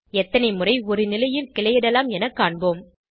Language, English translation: Tamil, Lets see how many times we can branch at one position